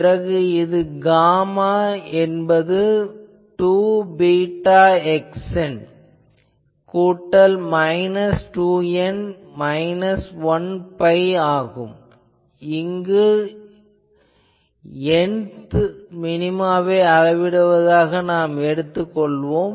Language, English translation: Tamil, So, then we know that this gamma will be 2 beta x n plus minus 2 n minus 1 pi, where here I am assuming that nth minima I am finding